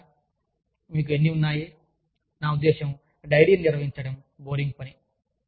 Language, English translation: Telugu, Or, you have, how many, i mean, maintaining a diary is boring work